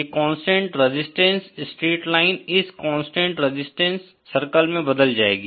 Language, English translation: Hindi, This constant resistance straight line is converted to this constant resistance circle